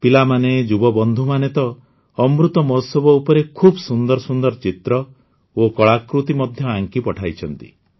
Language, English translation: Odia, Children and young friends have sent beautiful pictures and artwork on the Amrit Mahotsav